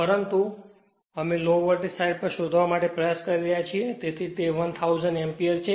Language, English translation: Gujarati, But , we are trying to find out at the low voltage side so, it is 1000 ampere right